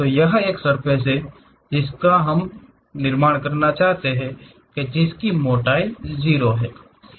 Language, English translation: Hindi, It is a surface what we would like to construct it, 0 thickness